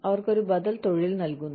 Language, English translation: Malayalam, They are given an alternative profession